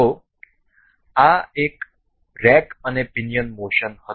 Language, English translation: Gujarati, So, this was rack and pinion motion